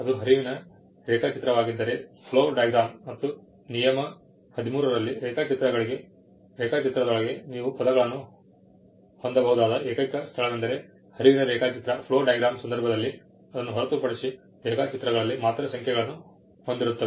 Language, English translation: Kannada, If it is a flow diagram and we saw that in rule 13, the only place where you can have words within a drawing is in the case of a flow diagram; other than that, the drawings will only bear numbers